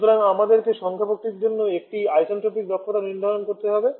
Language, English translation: Bengali, So, we need to define an isentropic efficiency for the compressor isentropic efficiency for the compressor Eta c